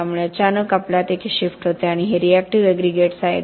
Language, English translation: Marathi, So all of a sudden we have a shift and these are reactive aggregates